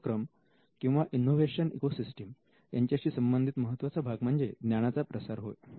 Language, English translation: Marathi, The most important part in innovation or in an innovation ecosystem is diffusion of knowledge